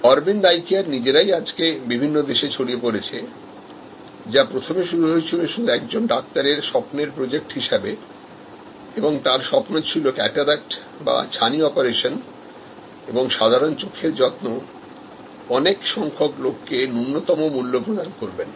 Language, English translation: Bengali, Aravind Eye Care themselves are spread their wings and gone to many countries, originally started as a dream project by one individual Doctor V and his dream was to provide cataract operation and simple eye care to many people at a fordable price